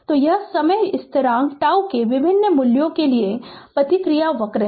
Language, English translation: Hindi, So, this is the response curve for various values of the time constant tau